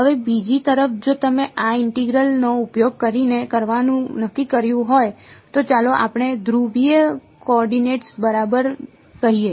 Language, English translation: Gujarati, Now on the other hand if you decided to do this integral using let us say polar coordinates right